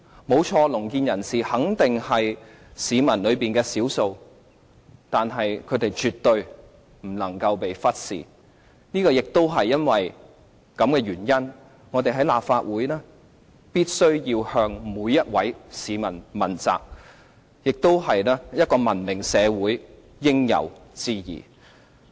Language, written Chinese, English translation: Cantonese, 沒錯，聾健人士肯定是市民當中的少數，但是，他們絕對不能被忽視，亦因為這個原因，我們在立法會必須向每位市民問責，這亦是一個文明社會應有之義。, It must face all Hong Kong people . Yes deaf people are definitely in the minority but they must never be ignored . Precisely for this reason we in the Legislative Council must hold ourselves accountable to every member of the public and this is the intrinsic duty of every civilized society